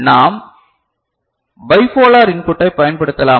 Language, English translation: Tamil, And can we use bipolar input